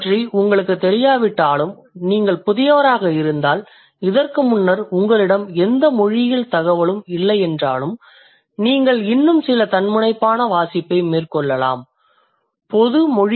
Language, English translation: Tamil, Even you don't know about it if you are a novice and then you don't have any linguistics information before this, you can still go for some self reading, some very basic generic linguistic books are going to be of help to you